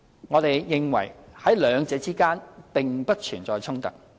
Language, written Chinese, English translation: Cantonese, 我們認為在兩者並不存在衝突。, We believe there is no conflict between these two ideas